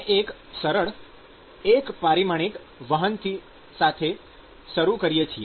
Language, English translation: Gujarati, We start with a simple one dimensional conduction